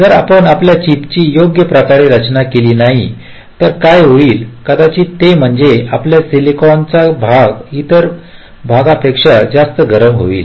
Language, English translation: Marathi, well, if you do not design your chip in a proper way, what might happen is that some part of your silicon might get heated more than the other part